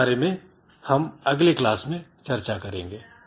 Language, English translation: Hindi, So, we'll continue with this in the next class